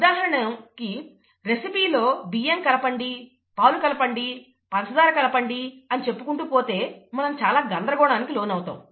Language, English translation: Telugu, The, if the recipe says you add rice, you add milk, you add sugar, and so on and so forth, we will be completely lost, right